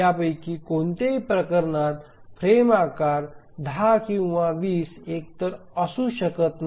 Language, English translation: Marathi, So in none of these cases, so the frame size can be either 10 or 20